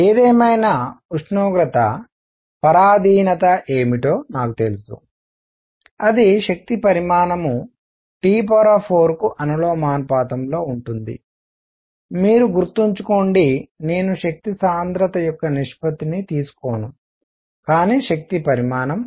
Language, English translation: Telugu, However, I know what the temperature dependence is the energy content is proportional to T raise to 4, mind you, I am not going to take a ratio of energy density, but energy content